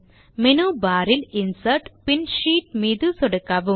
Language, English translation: Tamil, Now click on the Insert option in the menu bar then click on Sheet